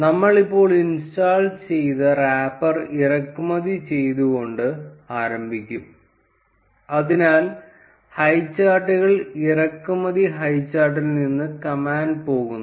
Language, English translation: Malayalam, We would start by importing the wrapper that we just installed, so the command goes like from highcharts import highchart